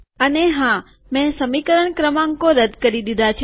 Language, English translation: Gujarati, And of course I have removed the equation numbers